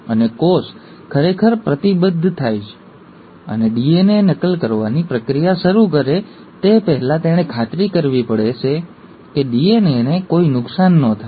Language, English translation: Gujarati, And, before the cell actually commits and starts doing the process of DNA replication, it has to make sure that there is no DNA damage whatsoever